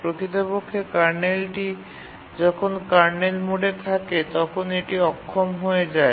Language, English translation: Bengali, Actually, the kernel disables when in the kernel mode